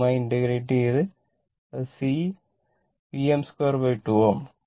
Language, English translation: Malayalam, If you integrate this, it will become half C V m square